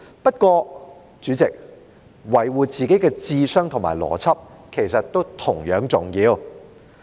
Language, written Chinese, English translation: Cantonese, 不過，主席，維護自己的智商和邏輯，其實也同樣重要。, However Chairman actually it is equally important to defend ones intelligence and logic